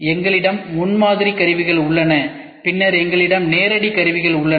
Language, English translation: Tamil, We have prototyping tools then we have direct tools I have direct manufacturing ok